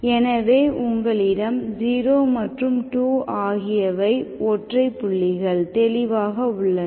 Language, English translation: Tamil, So 0 and 2 are singular points, so these are the singular points